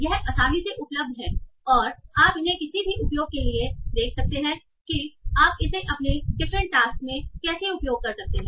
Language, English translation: Hindi, And this comes readily available and you can use these for and you can see how to use that in your different tasks